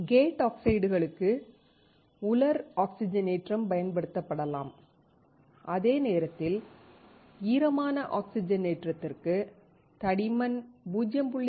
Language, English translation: Tamil, Dry oxidation can be used for the gate oxides, while for wet oxidation, the thickness will be greater than 0